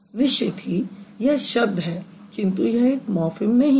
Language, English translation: Hindi, So, it is no word but it is definitely a morphim